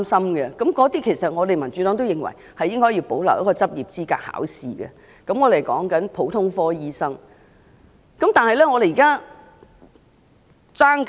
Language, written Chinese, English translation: Cantonese, 對於這些醫生，民主黨也認為應保留要通過執業資格考試，但所指的是普通科醫生。, The Democratic Party opines that the licensing examination should be retained for these doctors but that should be limited to GPs